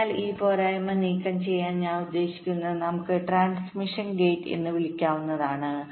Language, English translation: Malayalam, so to remove this drawback, i mean we can have something called as transmission gate